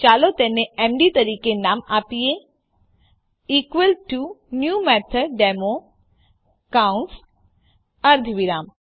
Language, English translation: Gujarati, Lets name it as md =new MethodDemo parentheses, semicolon